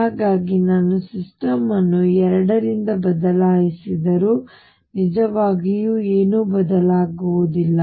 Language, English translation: Kannada, So, even if I shift the system by 2 a nothing really changes